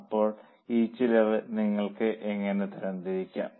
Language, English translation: Malayalam, So, how will you classify this cost